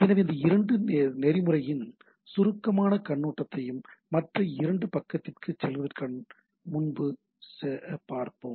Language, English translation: Tamil, So, we will have a brief overview of these 2 protocol and before we go to the other layer side